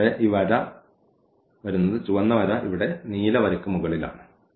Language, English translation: Malayalam, And therefore, we get this line the red line is sitting over the blue line here